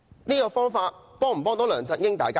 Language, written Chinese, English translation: Cantonese, 這種方法能夠幫助梁振英嗎？, Can he help LEUNG Chun - ying by this means?